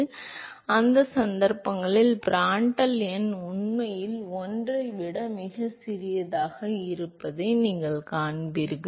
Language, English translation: Tamil, So, in those cases, you will see that the Prandtl number is actually much smaller than 1